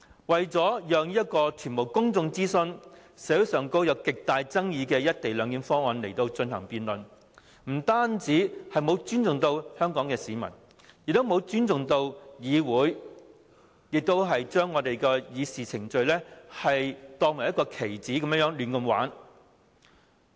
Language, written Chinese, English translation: Cantonese, 為了讓路予完全未經公眾諮詢、社會上極具爭議的"一地兩檢"議案進行辯論，不單沒有尊重香港市民，亦沒有尊重議會，將議事程序當作棋子般把玩。, In order to give way to the debate on the extremely controversial motion on the co - location arrangement on which the public have never been consulted the Government has disrespected not only the Hong Kong people but also the Council by manipulating Council proceedings like chess pieces